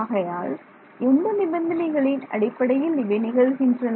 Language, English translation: Tamil, So, let us see under what conditions does that happen